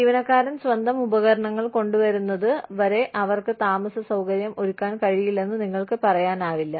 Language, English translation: Malayalam, You cannot, you know, unless the employee, brings their own equipment, you can make accommodation